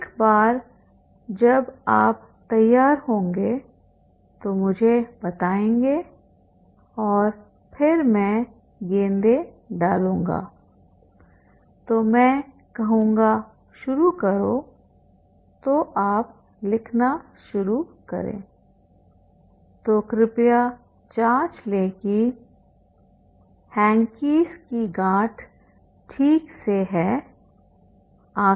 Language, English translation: Hindi, Once you are ready, let me know and then I will put the balls then I will say start then you start please right so please check the hankies are properly noted eyes are closed